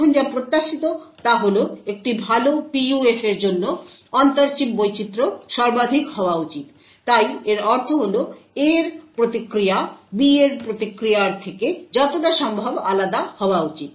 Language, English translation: Bengali, Now what is expected is that for a good PUF the inter chip variation should be maximum, so this means that the response of A should be as different as possible from the response of B